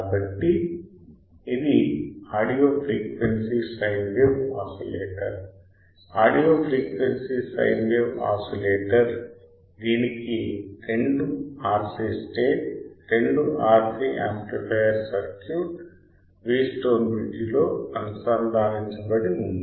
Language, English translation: Telugu, So, it is an audio frequency sine wave oscillator audio frequency sine wave oscillator it has two RC stage right two stage RC amplifier circuit connected in a Wheatstone bridge connected in a Wheatstone bridge with an amplifier stage right